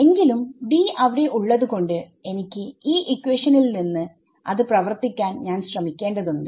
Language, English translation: Malayalam, So, although D is there I have to try to work him out of this equation